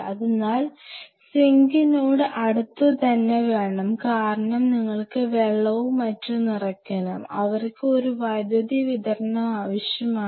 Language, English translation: Malayalam, So, close to the sink because you have to fill water and everything and they need a power supply and that is all you need it